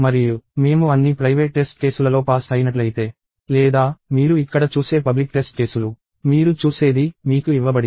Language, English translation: Telugu, And if I have passed all the private test cases; Or, the public test cases as you see here; whatever you see – given to you